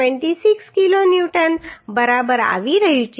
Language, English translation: Gujarati, 26 kilo Newton right